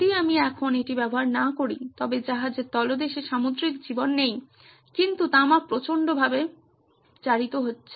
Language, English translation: Bengali, If I don’t use it now I don’t have marine life under the ship but copper is corroding like crazy